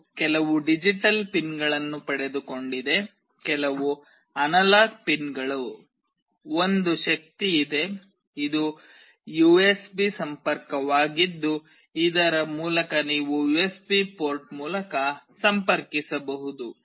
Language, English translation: Kannada, It has got some digital pins, some analog pins, there is a power, this is the USB connection through which you can connect through USB port